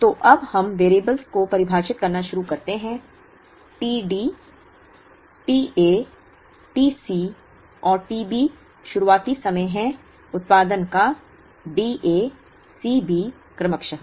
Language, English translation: Hindi, So, now let us start defining the variables, let t D, t A, t C and t B be the start time of production of D A, C B respectively